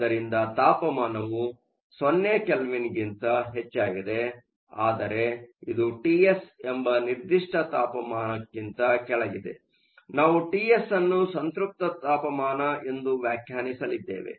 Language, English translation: Kannada, So, a temperature is above 0 Kelvin, but it is below a certain temperature called T s; we are going to define T s as saturation temperature